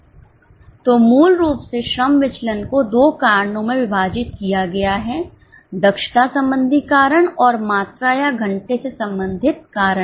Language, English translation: Hindi, So, basically, the labor variance is divided into two causes, efficiency related causes and quantity or hour related causes